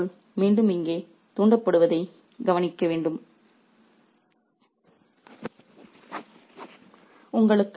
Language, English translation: Tamil, And it's very important to notice that the word calamity is once again awoke here